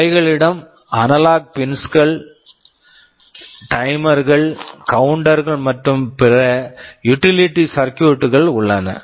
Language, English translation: Tamil, And as I have said they have analog pins, timers, counters and other utility circuitry